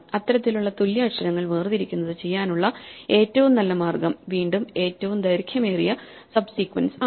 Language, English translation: Malayalam, So, this kind of paring up equal letters, the maximum way in which again to do this is a longest common subsequence